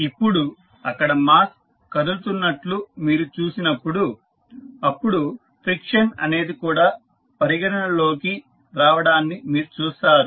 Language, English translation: Telugu, Now, there when you see that mass moving then you will see the friction also coming into the picture